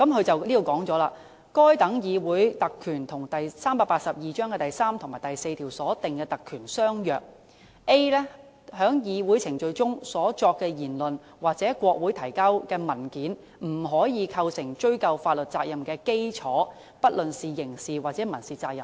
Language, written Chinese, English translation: Cantonese, 文件指出，該等議會特權與第382章第3及4條所訂的特權相若 ，a 段指出："在議會程序中所作的言論或向國會提交的文件，不可構成追究法律責任的基礎，不論是刑事或民事責任。, It is pointed out in the paper that such parliamentary privilege is similar to the privileges provided in sections 3 and 4 of Cap . 382 in which subparagraph a points out that speeches made in parliamentary proceedings or documents presented to Parliament cannot be the foundation of legal liability either criminal or civil